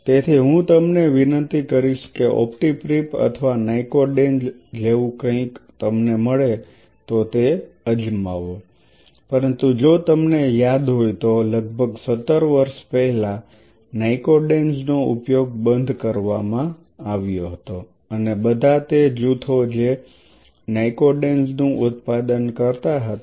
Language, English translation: Gujarati, So, I would rather request you try something like optipreap or nycodenz if you get it, but most likelihood you are not going to get nycodenz it nycodenz has been discontinued if I remember almost 17 years back and all those the groups who is to produce nycodenz